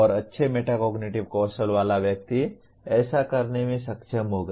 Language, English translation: Hindi, And a person with good metacognitive skills will be able to do that